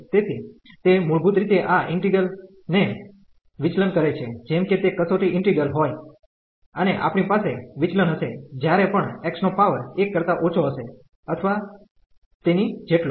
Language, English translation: Gujarati, So, this basically diverges this integral as this was a test integral and we have the divergence whenever this power of this x is less than or equal to 1